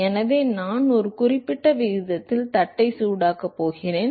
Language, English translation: Tamil, So, I am going to heat the plate at a certain rate